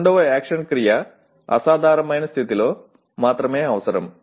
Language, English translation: Telugu, Second action verb is necessary only in exceptional condition